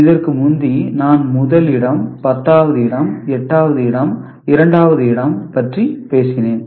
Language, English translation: Tamil, Now, earlier I was talking about 1s place, 10’s place, 8s place, 2s place that is a second position